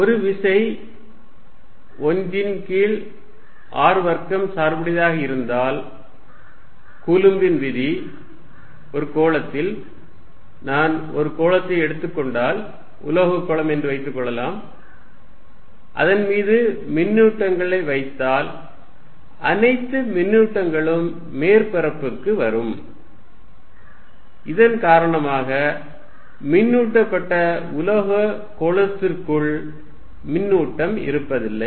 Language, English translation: Tamil, If a force is 1 over r square dependent which we are assuming coulomb's law is then on a sphere, then if I take a sphere, say metallic sphere and put charges on it all the charges will come to the surface with the result that there will be no charge inside a charged metal sphere